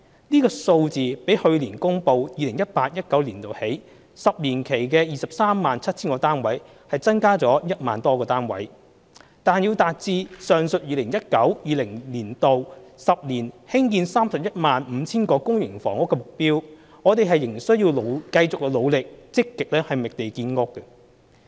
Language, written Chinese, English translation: Cantonese, 這數字比去年公布 2018-2019 年度起10年期的 237,000 個單位增加了 10,000 多個單位，但要達致上述 2019-2020 年度起10年興建 315,000 個公營房屋的目標，我們仍須繼續努力積極覓地建屋。, This number represents 10 000 units more than the housing production of 237 000 units for the ten - year period starting from 2018 - 2019 announced last year . To achieve the aforementionmed public housing supply target of 315 000 units in the 10 - year period starting from 2019 - 2020 we must continue our endeavour to actively identify land for housing supply